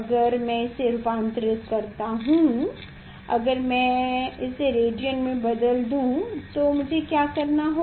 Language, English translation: Hindi, if I convert it; if I convert it to the radian what I have to do